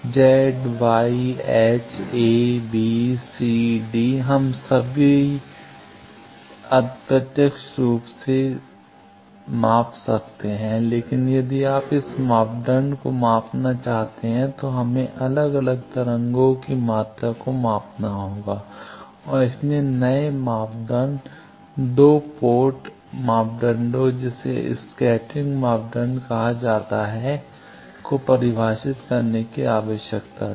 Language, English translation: Hindi, Z Y h, a, b, c, d we still can do indirectly, but if you want to measure this parameters then we need to measure the separate wave quantities and that is why there was need to define a new 2 port parameter that is called scattering parameters